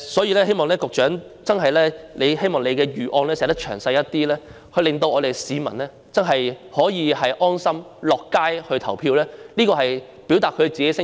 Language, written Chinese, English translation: Cantonese, 我希望局長的預案能詳細一點，令市民能安心上街投票，表達自己的聲音。, I hope the Secretary can devise a more comprehensive plan so that people can be carefree while going out to vote and expressing their views